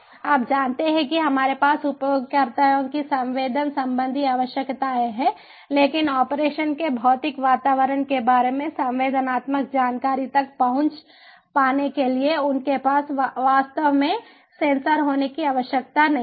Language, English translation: Hindi, the users have sensing needs, but they do not have to really own the sensors in order to get access to the sensed information about the physical environment of operation